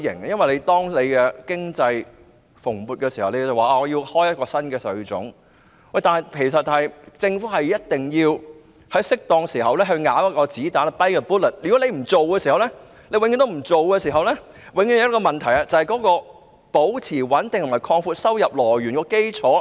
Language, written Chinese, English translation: Cantonese, 事實上，在經濟蓬勃時開徵新稅種，就像政府一定要在適當時候咬一粒子彈一樣，如果永遠不去做的話，永遠都會有一個問題，就是無法保持收入穩定和擴闊收入來源的基礎。, In fact introducing a new tax when the economy is blooming can be compared to the need for the Government to bite a bullet at an appropriate time . If this is never done the problem will always be there that is being unable to keep the revenue stable on a broadened base